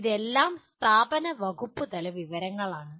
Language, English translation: Malayalam, It is all institutional and departmental information